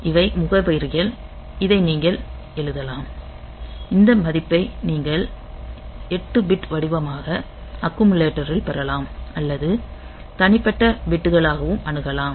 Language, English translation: Tamil, So, you can you can write this you can get this value in the accumulator as an 8 bit pattern or you can access as individual bits